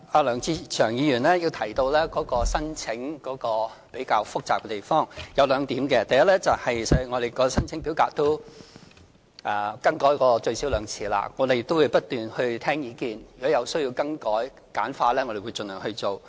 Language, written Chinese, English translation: Cantonese, 梁志祥議員提到申請程序比較複雜，我想指出兩點：第一，我們的申請表格已更改最少兩次，我們會不斷聆聽意見，如果有需要更改或簡化，我們會盡量去做。, In response to the view expressed by Mr LEUNG Che - cheung that the application process is quite complicated I would like to make two points Firstly our application form has been revised twice and we will continue to listen to the publics views . If there is a need to revise or simplify the form we will do so by all means